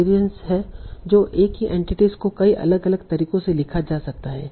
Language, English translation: Hindi, So the same entity can be written in many different ways